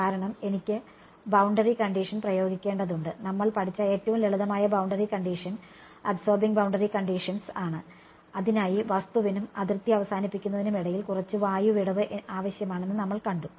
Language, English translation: Malayalam, Because I need to apply the boundary condition and there the simplest boundary condition which we have learnt are absorbing boundary conditions and for that we have seen that there needs to be a little bit of air gap between the object and where I terminate the boundary right